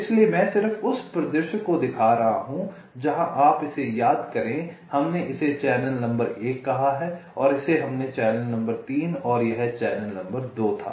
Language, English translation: Hindi, so i am just showing the scenario where you recall this we are, we have called as in channel number one and this we have called as channel number three and this was channel number two